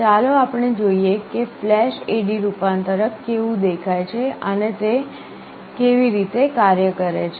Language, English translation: Gujarati, Let us see how flash AD converter looks like and how it works